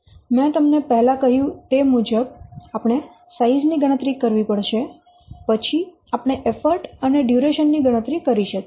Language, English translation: Gujarati, So as I have already told you, first we have to compute size, then we can compute what effort and the duration